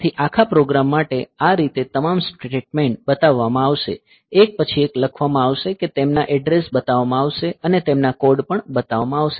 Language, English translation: Gujarati, So, this way for the entire program all the statements they will be shown, they will be written one after the other that their addresses will be shown and their addresses will be shown and also there code will be shown